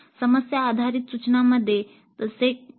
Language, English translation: Marathi, That is not so in problem based instruction